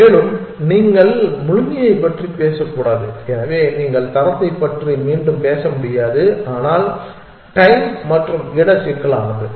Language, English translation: Tamil, Also, you cannot even talk of completeness, so you cannot even talk of quality again, but time and space complexity